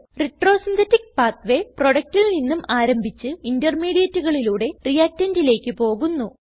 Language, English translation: Malayalam, Retrosynthetic pathway starts with the product and goes to the reactant along with all the intermediates